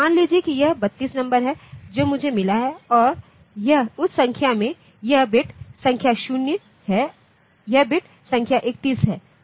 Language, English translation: Hindi, Suppose this is the 32 number that I have got and in that number this is bit number 0 this is bit number 31